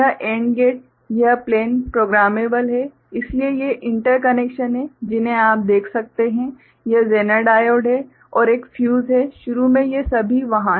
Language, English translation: Hindi, So, this AND gates this plane is programmable, so these are the interconnections you can see this is zener diode and there is a fuse, initially all of them are there